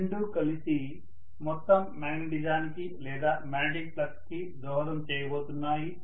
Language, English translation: Telugu, Both of them together are going to contribute to the total magnetism or magnetic flux